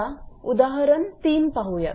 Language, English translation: Marathi, Next is example 3